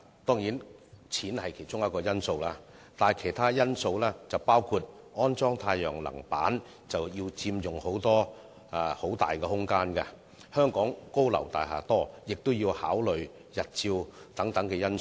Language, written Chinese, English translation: Cantonese, 當然，金錢是其中一個因素，但也有其他因素，包括安裝太陽能板要佔用大量的空間，而且香港有很多高樓大廈，亦要考慮日照等因素。, Of course while money is a factor there are also other factors including the fact that the installation of solar panels requires a lot of space . Besides given the large number of high - rise buildings in Hong Kong we also have to consider some factors like insolation